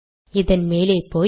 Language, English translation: Tamil, Go to the top of this